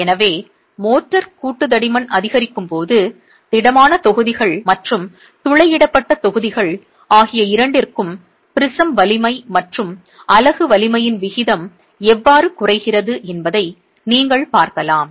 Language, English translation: Tamil, So, you can see how the ratio of the prism strength to the unit strength keeps dropping both for solid blocks and for perforated blocks as the motor joint thickness increases